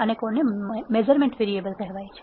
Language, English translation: Gujarati, And what are called measurement variables